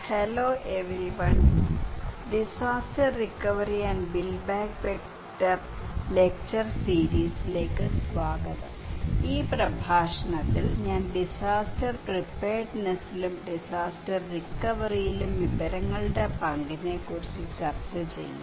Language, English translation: Malayalam, Hello everyone, welcome to disaster recovery and build back better lecture series, in this lecture I will discuss about the role of information in disaster preparedness and disaster recovery okay